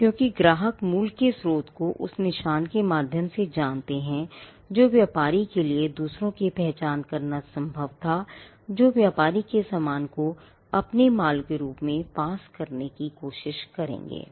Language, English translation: Hindi, And because customers know the source of origin through the mark it was possible for the trader to identify others who would try to pass off their goods as the trader’s goods